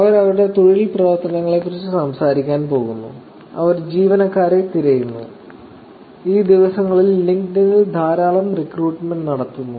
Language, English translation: Malayalam, They are going to talk about their job activities, they are actually looking for people, there lot of recruitments that goes on on LinkedIn these days, right